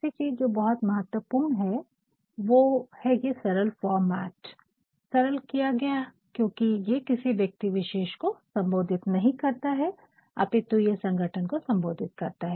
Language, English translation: Hindi, Now, the last one; the last one which is very important is this simplified format it is simplified because it is not addressed to an individual it is actually addressed to a company